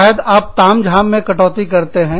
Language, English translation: Hindi, Maybe, you reduce frills